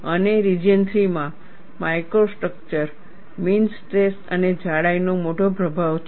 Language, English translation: Gujarati, And in region 3, micro structure, mean stress and thickness have a large influence